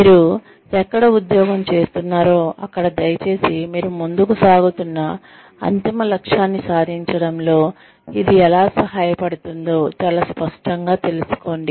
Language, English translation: Telugu, Wherever you take up a job, please know, very clearly, how it is going to help you achieve, the ultimate objective, that you are moving forward for